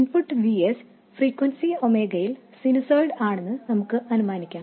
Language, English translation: Malayalam, We will assume that the input VS is a sinusoid at a frequency omega, some omega